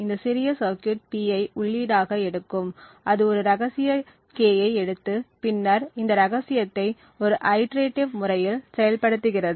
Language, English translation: Tamil, So, this small circuit it takes as an input P and it takes a secret K and then operates on this secret in an iterative manner